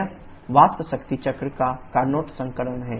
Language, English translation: Hindi, This is the Carnot version of the vapour power cycle